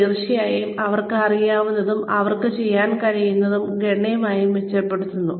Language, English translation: Malayalam, s, what they know, and what they can do, improves considerably